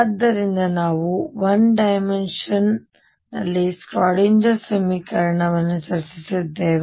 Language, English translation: Kannada, So, we have discussed one Schrödinger equation in 1D